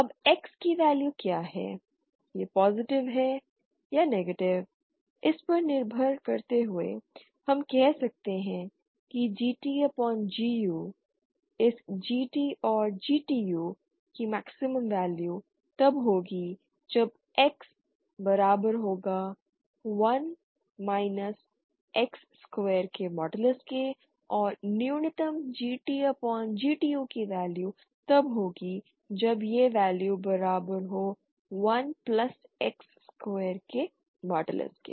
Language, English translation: Hindi, Now depending on what value of X is whether it is positive or negative, we can say that this GT upon GU, this equation you know you can work it out you can see that it is really and can verify that it is true the maximum value of this GT and GTU will be when x is when this is equal to 1 minus modulus of x square, and the minimum of value of GT upon GTU will happen when this value becomes equal to 1 plus modulus of X square